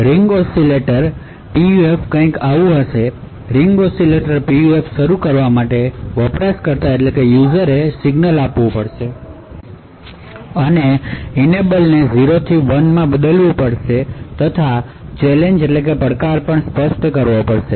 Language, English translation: Gujarati, The ring oscillators PUF is something like this, to actually start the Ring Oscillator PUF the user would have to give an enable signal essentially, essentially change the enable from 0 to 1 and also specify a challenge